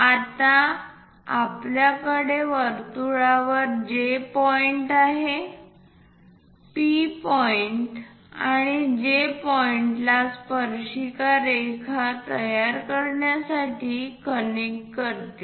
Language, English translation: Marathi, Now, we have that J point on the circle, connect P point and J point to construct a tangent line